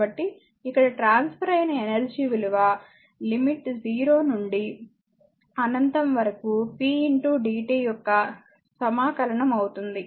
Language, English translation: Telugu, So, here that; that means, your what you call energy transfer limit 0 to infinity p into dt right